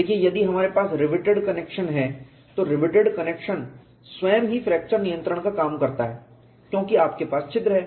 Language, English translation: Hindi, So, if we have a reverted connection, the reverted connection itself serves as fracture control because you have holes